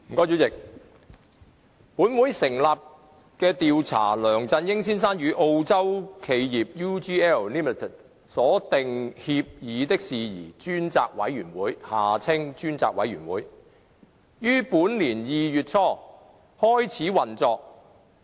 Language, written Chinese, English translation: Cantonese, 主席，本會成立的調查梁振英先生與澳洲企業 UGLLimited 所訂協議的事宜專責委員會於本年2月初開始運作。, President the Select Committee to Inquire into Matters about the Agreement between Mr LEUNG Chun - ying and the Australian firm UGL Limited set up by this Council commenced operation in early February this year